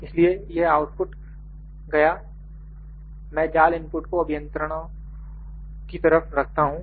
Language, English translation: Hindi, So, this output goes, I will put mesh input to the engineers